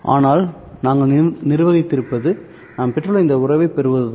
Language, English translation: Tamil, But what we have managed is to obtain this relationship